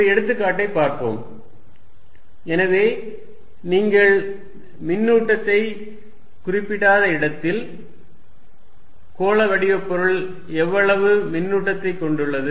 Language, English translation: Tamil, Let us look at an example, so where you do not specify the charge, how much charge the spherical body carries